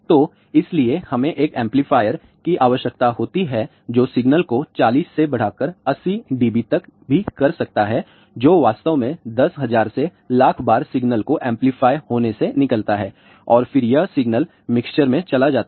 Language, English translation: Hindi, So, that is why we need to have an amplifier which may be amplifying the signal by forty to even eighty db also which really comes out to be 10,000 to even million times signal to be amplified and then this signal goes to a mixer